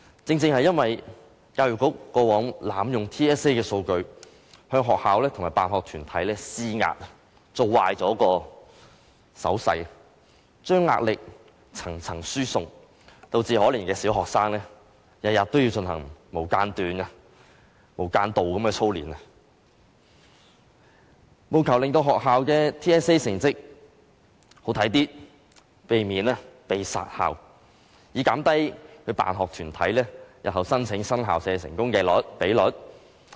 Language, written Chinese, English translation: Cantonese, 正正因為教育局過往濫用 TSA 的數據，向學校和辦學團體施壓，做壞手勢，將壓力層層輸送，導致可憐的小學生天天也要進行無間斷的操練，務求令學校的 TSA 成績好看一些，避免被"殺校"，或減低辦學團體日後申請新校舍的成功比率。, The Education Bureau has manipulated the data collected from TSA in the past to pressurize schools and school sponsoring bodies and under the bad practice of transferring pressure from one level to another the poor primary students are subjected to continuous drilling every day so that the schools will have better performance in TSA . This will save schools from closure or prevent school sponsoring bodies from recording a low rate of success in their applications for building new school premises